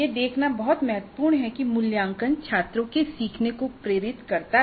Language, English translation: Hindi, And it's very important to see that assessment drives student learning